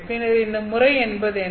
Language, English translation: Tamil, Then what is this pattern